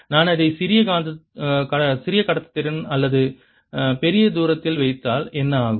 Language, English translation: Tamil, what happens if i put it in a material of smaller conductivity or larger distance